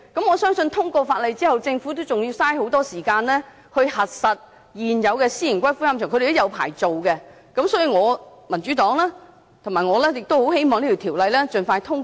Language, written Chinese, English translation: Cantonese, 我相信，通過《條例草案》後，政府仍要花很多時間處理現有私營龕場的領牌事宜，所以民主黨和我很希望這項《條例草案》能盡快獲得通過。, I believe after the passage of the Bill the Government still needs much time to deal with the licensing of the existing private columbaria and thus the Democratic Party and I really hope the Bill can be passed as soon as possible